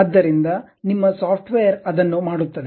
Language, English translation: Kannada, So, your software does that